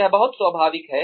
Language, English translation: Hindi, It is very natural